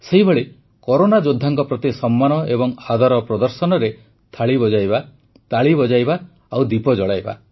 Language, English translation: Odia, Similarly, expressing honour, respect for our Corona Warriors, ringing Thaalis, applauding, lighting a lamp